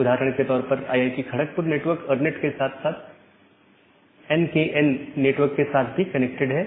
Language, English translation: Hindi, So, for example, IIT Kharagpur network is connected to ERNET network as well as NKN network